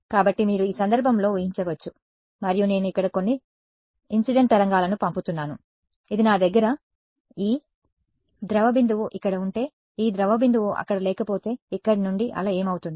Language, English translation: Telugu, So, you can imagine in this case and I am sending some incident wave over here if this I have this blob over here, if this blob were not there what would happen to the wave from here